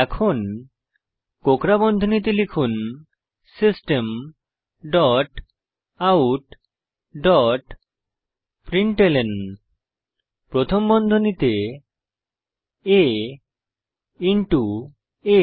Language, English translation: Bengali, Now within curly brackets type, System dot out dot println within parentheses a into a